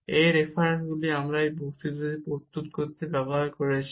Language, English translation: Bengali, These are the references we have used to prepare these lectures